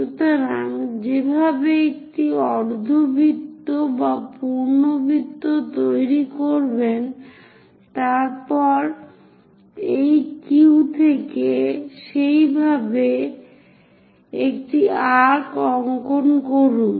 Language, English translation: Bengali, So, make a semicircle or full circle in that way, then from this Q mark an arc in that way